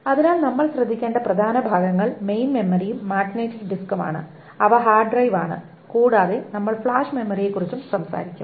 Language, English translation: Malayalam, So the important part that we will worry about is the main memory and the magnetic disks which is the hard drive and we will also talk about the flash memory a little bit